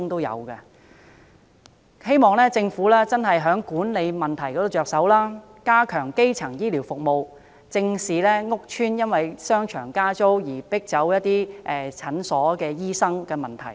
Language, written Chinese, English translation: Cantonese, 我希望政府從醫院管理局的管理問題方面着手，加強基層醫療服務，正視屋邨因為商場加租而迫走診所醫生的問題。, I hope that the Government will tackle the problem from the management of the Hospital Authority enhance the primary health care services and look squarely at the problem of clinics in shopping centres in public housing estates being driven away by rent hikes